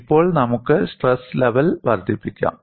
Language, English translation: Malayalam, Now, let us increase the stress level